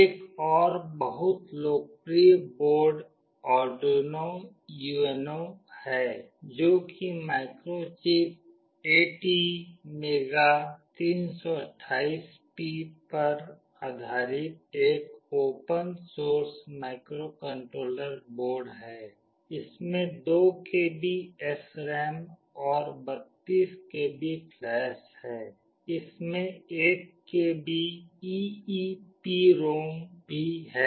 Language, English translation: Hindi, Another very popular board is Arduino UNO, which is a open source microcontroller board based on Microchip ATmega328P; it has got 2 KB of SRAM and 32 KB of flash, it has also got 1 KB of EEPROM